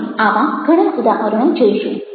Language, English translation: Gujarati, we look at many such examples now